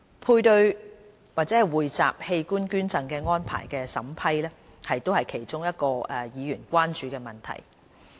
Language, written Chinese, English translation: Cantonese, 配對或匯集器官捐贈安排的審批是議員其中一個關注的問題。, The approval of paired or pooled donation arrangements is one of the concerns of the Members